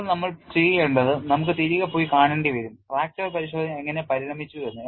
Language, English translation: Malayalam, Now, what we will have to do is we will have to go back and see, how fracture testing evolved